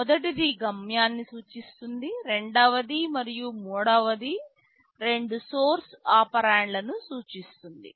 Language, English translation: Telugu, The first one represents the destination, the second and third indicates the two source operands